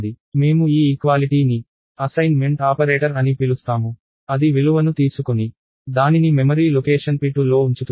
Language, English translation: Telugu, Therefore, we call this equality an assignment operator; it takes the value and puts it in the memory location p 2